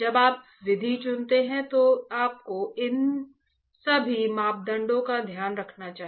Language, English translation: Hindi, When you choose the method you should take care of all these parameters